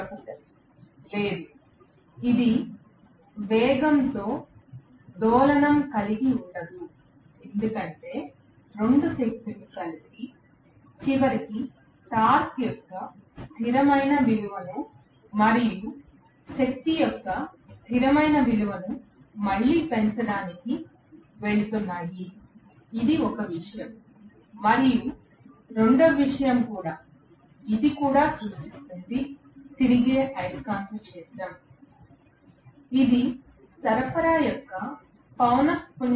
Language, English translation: Telugu, Professor: No, this will not have oscillation in the speed because both the powers together ultimately is going to give rise to again a constant value of torque and constant value of power that is one thing, and second thing is also, this will also create a revolving magnetic field which will work at the same speed as that of the frequency of the supply